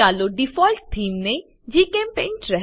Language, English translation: Gujarati, Lets retain the Default Theme as GChemPaint